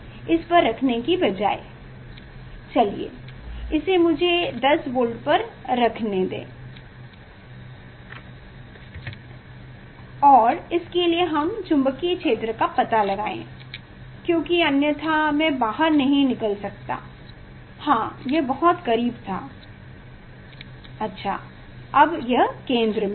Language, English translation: Hindi, instead of keeping this at; keeping at, let me keep at 10 volt and for that you find out the magnetic field because otherwise I cannot take out the yeah it is too close, yes, it is at the centre